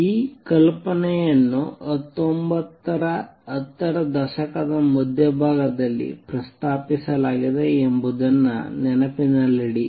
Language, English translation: Kannada, Keep in mind that the idea was proposed way back in around mid nineteen a tenths